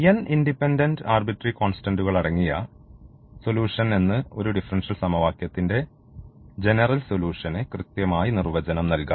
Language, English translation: Malayalam, So, what do we call as the general solution it is the solution containing n independent arbitrary constants